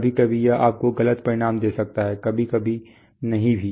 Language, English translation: Hindi, Sometimes it may give you wrong results sometimes in may not